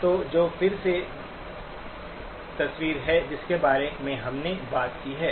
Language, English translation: Hindi, So which is again the picture that we have talked about